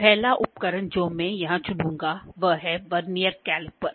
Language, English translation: Hindi, The first instrument I will select here is Vernier Caliper